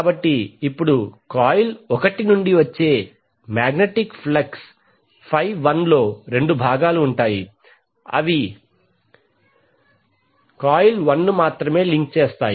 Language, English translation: Telugu, So now the magnetic flux 51 which will be coming from the coil 1 will have 2 components one components that Links only the coil 1